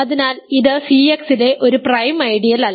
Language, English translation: Malayalam, So, it is not a prime ideal